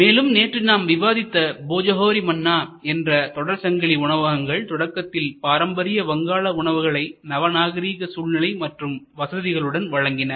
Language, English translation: Tamil, So, we also discussed yesterday, Bhojohori Manna a specialised high quality Bengali cuisine offered in modern ambiance, traditional food in modern ambiance in modern facilities